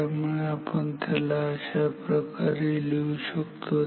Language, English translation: Marathi, So, this then we can write it as